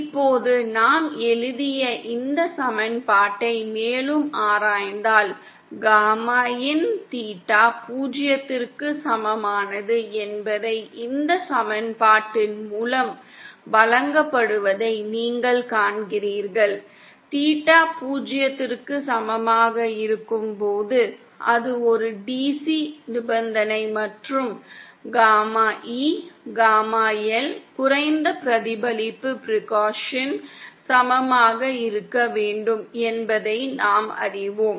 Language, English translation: Tamil, Now if we further analyze this equation that we just wrote down you see that gamma is what theta is equal to zero is given by this equation, we also know that when theta is equal to zero that is a DC condition and gamma E should be simply equal to gamma L the low reflection percussion